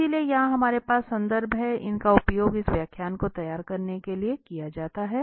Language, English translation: Hindi, So, here we have the references, these are used for preparing this lecture